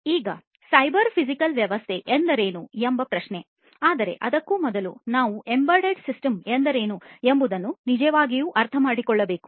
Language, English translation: Kannada, Now, the question is that what is a cyber physical system, but before that we need to really understand what is an embedded system